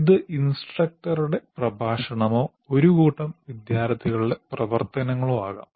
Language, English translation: Malayalam, And there could be an instructor's lecture or the activities of a group of students